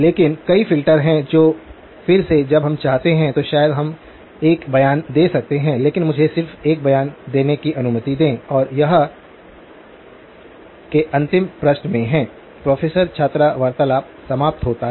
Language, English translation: Hindi, But there are several filters which again when we come to it maybe we can make a statement but let me just sort of make a statement and this in the last page of the (()) (11:37) “Professor – student conversation ends”